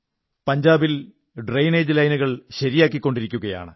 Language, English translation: Malayalam, The drainage lines are being fixed in Punjab